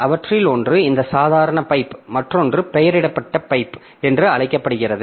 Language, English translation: Tamil, One of them is this ordinary pipe and the other one is known as the named pipe